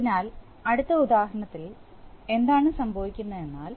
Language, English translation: Malayalam, So in the next example, what is happening is